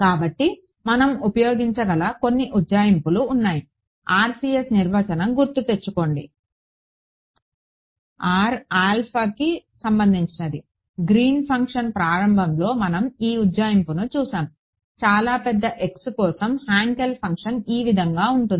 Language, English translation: Telugu, So, there are some approximations that we can use; remember the RCS definition is r tending to infinity right now back in the very beginning of Green’s function we had actually come across this approximation for very large x this Hankel function look like this